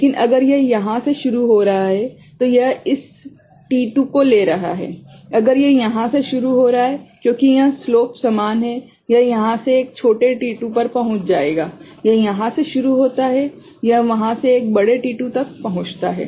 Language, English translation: Hindi, So, if it is starting from here, it is taking this t2, if it is starting from here because this slope is same it will reach over here at a smaller t2, it starts from here it will reach there at a larger t2